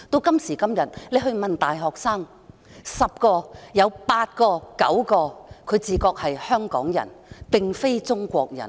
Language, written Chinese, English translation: Cantonese, 今時今日，大學生十有八九自覺是香港人，並非中國人。, Today most of the undergraduates identify themselves as Hongkongers than Chinese